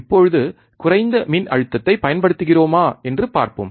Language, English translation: Tamil, Now, let us see if we apply a less voltage